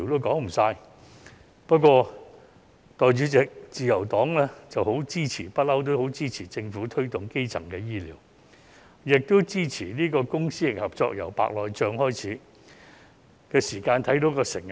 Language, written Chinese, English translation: Cantonese, 代理主席，自由黨一直很支持政府推動基層醫療，亦支持公私營合作，從白內障手術計劃便可看到成效。, Deputy President the Liberal Party has been supportive of the promotion of primary healthcare by the Government and public - private partnership . A successful example is the Cataract Surgeries Programme